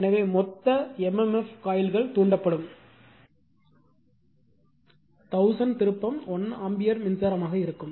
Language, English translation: Tamil, So, total m m f will be coils excited by 1000 1 ampere current